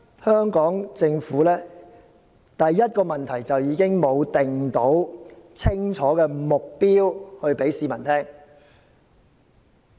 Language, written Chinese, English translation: Cantonese, 香港政府的第一個問題是沒有訂立清晰目標，並讓市民知道。, The first shortcoming of the Hong Kong Government is that it has not set any clear goals and let the public know